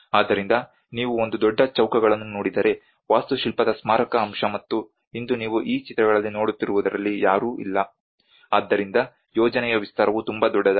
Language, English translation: Kannada, So if you look at a huge squares the monumental aspect of architecture and today what you are seeing in these pictures is no one is present, so the vastness of the project is so huge